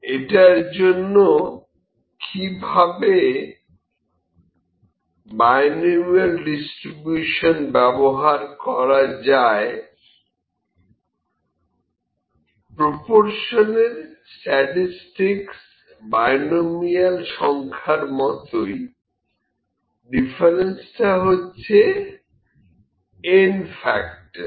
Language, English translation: Bengali, How to use binomial distribution for that, statistics for proportions are similar to binomial counts but differ by a factor of n